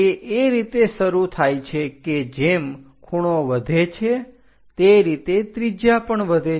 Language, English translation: Gujarati, They begin as angle increases the radius also increases